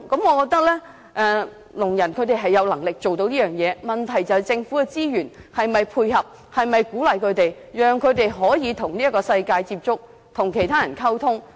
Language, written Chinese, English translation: Cantonese, 我覺得聾人有能力做到雙語，問題是政府的資源是否配合他們的需要，讓他們可以與這個世界接觸、與其他人溝通。, I think deaf people are capable of mastering both the only thing is whether the Government can provide any resources to suit their needs enable them to stay in touch with the world and communicate with others